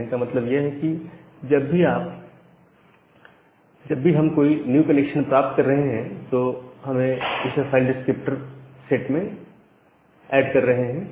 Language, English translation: Hindi, So, here the idea is that whenever we are getting a new connection, we are adding it a inside the file descriptor inside that file descriptor set